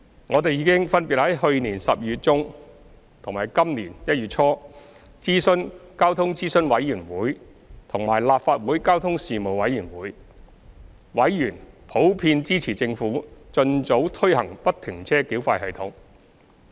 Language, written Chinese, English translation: Cantonese, 我們已分別在去年12月中和今年1月初諮詢交通諮詢委員會和立法會交通事務委員會，委員普遍支持政府盡早推行不停車繳費系統。, The Transport Advisory Committee and the Panel on Transport of this Council were already consulted in mid - December last year and this January respectively . Their members generally expressed support for the Governments expeditious implementation of FFTS